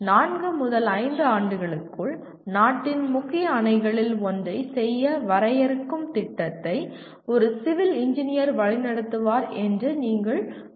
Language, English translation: Tamil, You cannot say a Civil Engineer will lead a project to define let us say one of the major dams in the country within four to five years